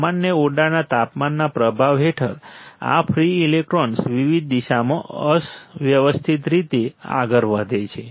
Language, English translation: Gujarati, Under the influence of normal room temperature, these free electrons move randomly in a various direction right